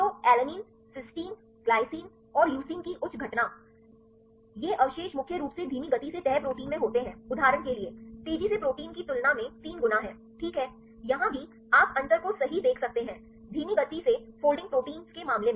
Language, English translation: Hindi, So, higher occurrence of alanine, cysteine, glycine and leucine, these residues are predominantly occurring in the slow folding proteins than fast folding proteins for example, there is 3 times, right, here also, you can see the difference right, in the case of slow folding proteins